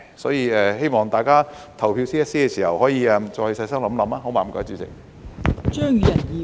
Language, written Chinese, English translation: Cantonese, 所以希望大家就這 CSA 投票時可以再細心想想，好嗎？, Therefore I hope that Members can further think about these CSAs in detail when they vote on them alright?